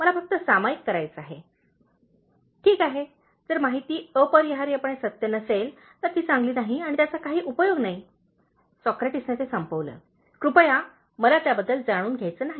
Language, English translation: Marathi, I just wanted to share” “Well, if the information is not necessarily true, it is not good, and, it is of no use,” Socrates concluded, “please I don’t want to know about it